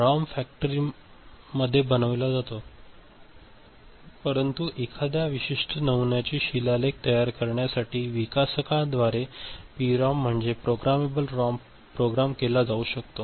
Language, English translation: Marathi, ROM is factory made, but PROM programmable ROM can be programmed by a developer to inscribe a particular pattern